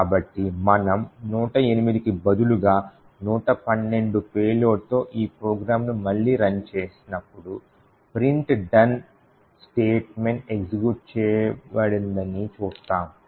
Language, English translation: Telugu, So, when we run this program again with payload of 112 instead of a 108 we would see that the done statement is not executed